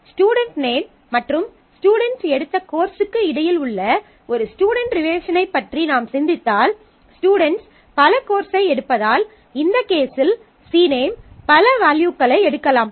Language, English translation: Tamil, So, if you think about a think about a relationship where you have a student relationship between student her name and the courses taken by the student then since the students take multiple courses; the C name in this case can take multiple values